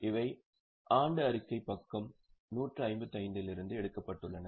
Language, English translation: Tamil, These are excerpt from the annual report page 155